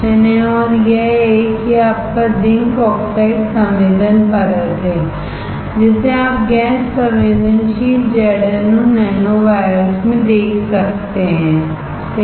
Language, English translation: Hindi, And this one this one is your zinc oxide sensing layer you can see here in gas sensitive ZnO nanowires, right